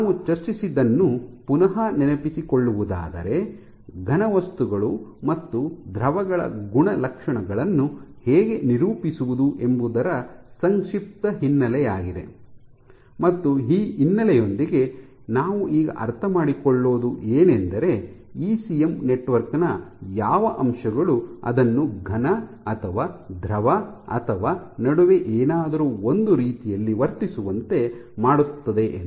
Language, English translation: Kannada, So, to recap what we have discussed is just a brief background of how to characterize properties of solids and fluids, and with that background we will now try to understand; what are the aspects of a ECM network, which makes it behave like a solid or a fluid or something in between